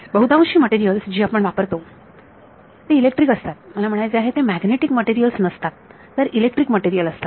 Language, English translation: Marathi, So, most materials that we work with are electric I mean they are not magnetic materials the electric material